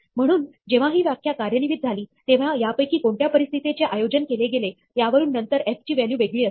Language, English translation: Marathi, So, depending on which of these conditions held when this definition was executed, later on the value of f will be different